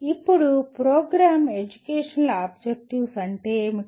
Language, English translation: Telugu, Now, what are Program Educational Objectives